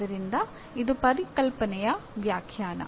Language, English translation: Kannada, So that is what the definition is